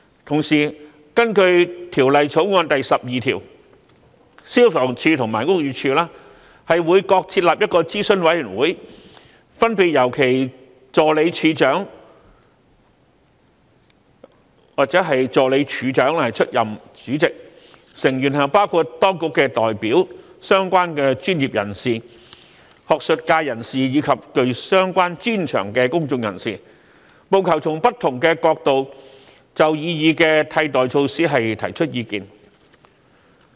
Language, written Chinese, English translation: Cantonese, 同時，根據《條例草案》第12條，消防處及屋宇署會各設立一個諮詢委員會，分別由其助理處長/助理署長出任主席，成員包括當局代表、相關專業人士、學術界人士及具相關專長的公眾人士，務求從不同角度就擬議的替代措施提出意見。, At the same time pursuant to clause 12 of the Bill FSD and BD would each set up an advisory committee to be chaired by their respective Assistant Directors comprising representatives of these departments relevant professionals academics and members of the public with the relevant expertise so as to offer advice on the proposed alternative measures from different perspectives